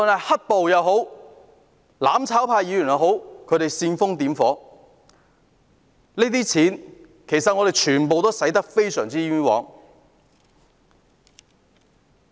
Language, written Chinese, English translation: Cantonese, "黑暴"或"攬炒派"議員煽風點火，這些錢全部都花得非常冤枉。, Due to black terror or the instigation on the part of Members from the mutual destruction camp money has been spent in vain on all such costs